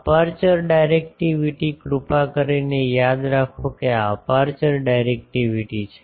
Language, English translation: Gujarati, Aperture directivity; please remember this is aperture directivity